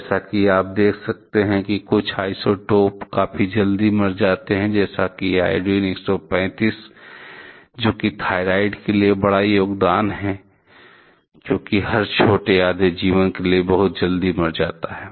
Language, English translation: Hindi, As you can see certain isotopes died on quite quickly like, iodine 131, which is the big contribution toward contributed towards thyroid, because every short half life it died quite quickly